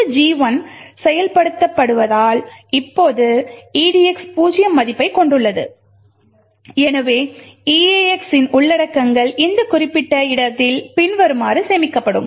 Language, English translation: Tamil, Now edx has a value of 0 due to this gadget 1 getting executed therefore the contents of eax would be stored in this particular location over here as follows